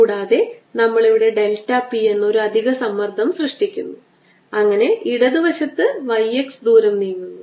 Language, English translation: Malayalam, this is some pressure p, and we create a, an extra pressure here, delta p, so that the left inside moves by distance, y x